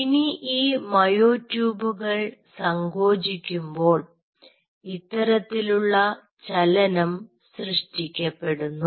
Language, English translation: Malayalam, now these myotubes, while will contract, will generate a motion like this